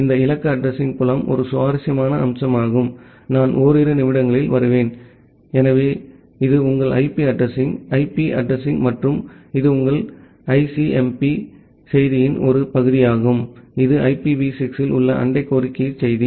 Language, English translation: Tamil, This destination address field is an interesting feature that I will come in a couple of minutes So, this is your part of IP address, IP address and this is the part of your ICMP message, that is the neighbor solicitation message in IPv6